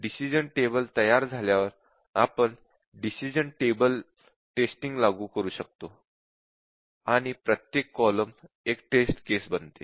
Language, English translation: Marathi, And once we have the decision table ready, we can apply the decision table testing that each column becomes a test case